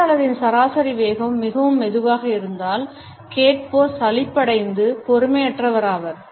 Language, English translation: Tamil, If the speaker’s average speed is very slow, the listener becomes bored and impatient